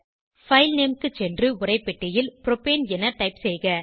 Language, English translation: Tamil, Go to the File Name and type Propane in the text box